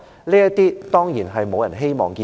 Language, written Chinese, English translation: Cantonese, 這些情況當然沒有人希望看到。, Admittedly no one wishes to see such situations